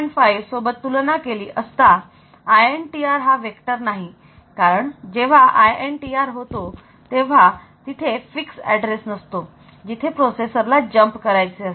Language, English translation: Marathi, Next is if you try to classify with respect to the vectoring, so INTR is not vectored because so when INTR occurs there is no fixed address to which the processor with jump compared to 5